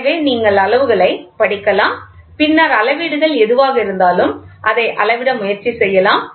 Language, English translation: Tamil, So, you can read the graduations and then try to quantify the measurements whatever it is